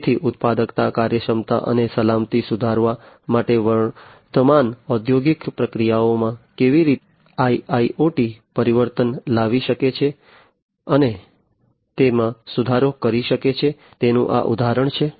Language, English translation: Gujarati, So, this is the example of how IIoT can transform, and improve upon the existing industrial processes for improving the productivity and efficiency and safety, as well